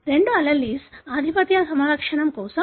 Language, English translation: Telugu, That is both the alleles are for the dominant phenotype